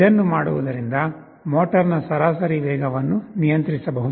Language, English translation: Kannada, By doing this, the average speed of the motor can be controlled